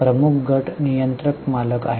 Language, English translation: Marathi, Major group is a controlling owner